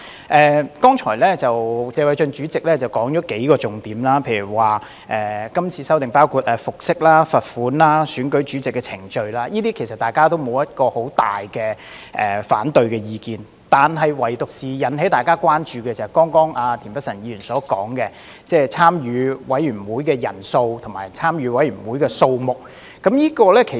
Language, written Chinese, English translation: Cantonese, 議事規則委員會主席謝偉俊議員剛才說出了數個重點，例如今次的修訂包括服飾、罰款、選舉主席的程序，大家對這些也沒有很大的反對意見，唯獨引起大家關注的，就是田北辰議員剛才所說的，即是委員會的委員人數上限和議員可參與的委員會數目。, Mr Paul TSE Chairman of CRoP has mentioned several key points a moment ago . For instance the amendments proposed this time around include those concerning attire penalties as well as the procedures of election of chairman to which Members do not have strong objection . The only matter that has aroused Members concern is what mentioned by Mr Michael TIEN just now that is setting a cap on the membership size for committees and the maximum number of committees that each Member can serve on